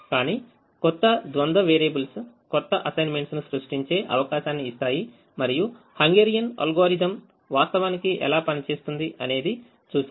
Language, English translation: Telugu, but the new set of dual variables gives us an opportunity to create new assignments and that is how the hungarian algorithm actually works